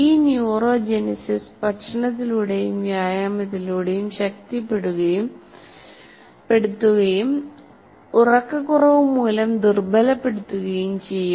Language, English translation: Malayalam, This neurogenesis can be strengthened by diet and exercise and weakened by prolonged sleep loss